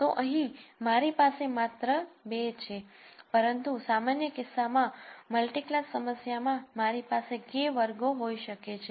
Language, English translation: Gujarati, So, here I have just 2, but in a general case in a multi class problem, I might have K classes